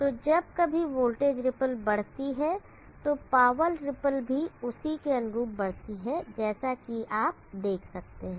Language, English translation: Hindi, So whenever the voltage ripple increases the power ripple also correspondingly increases, as you can see